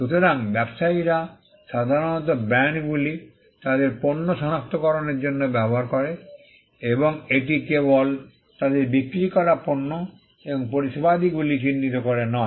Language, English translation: Bengali, So, traders usually used brands as a means to identify their goods and this came up by not only identifying them goods and services they were selling, but also to identify the business names